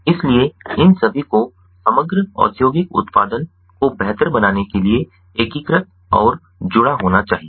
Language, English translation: Hindi, so all of these have to be integrated and connected to improve the production, overall industrial production